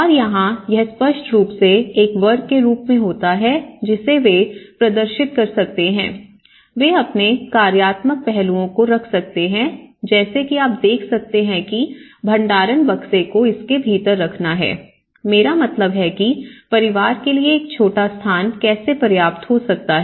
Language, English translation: Hindi, And here, this obviously forms as a kind of racks which they can display, they can keep their functional aspects like you can see that the storage boxes are embedded within it and then they can I mean the indigenous ideas of how a small space could be functional enough for the family, you know for everyday activities